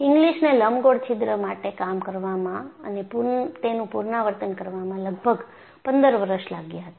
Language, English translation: Gujarati, And, it took almost fifteen years for Inglis to go and repeat the same for an elliptical hole